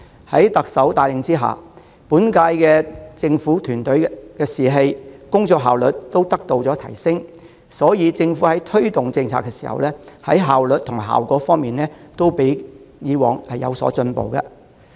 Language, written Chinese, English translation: Cantonese, 在特首帶領下，本屆政府團隊的士氣和工作效率都得以提升；在推動政策時，無論效率和效果都較以往的政府進步。, Under the leadership of the Chief Executive the incumbent government team boasts better morale and greater efficiency outperforming past governments in terms of both efficiency and effectiveness in policy implementation